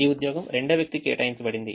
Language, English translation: Telugu, this job is assigned to the second person